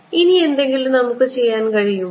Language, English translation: Malayalam, Any further thing, that we can do